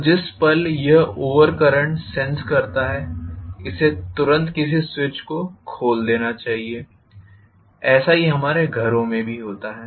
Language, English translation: Hindi, So the moment it senses over current, it should immediately open up some switch, so that is what happens in our homes also